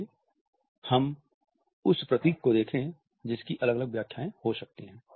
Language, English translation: Hindi, Let us look at the symbol which may have different interpretations